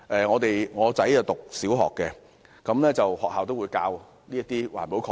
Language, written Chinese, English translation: Cantonese, 我的兒子是小學生，學校也會教授環保概念。, My son is a primary student and the environmental protection concept is also taught in his school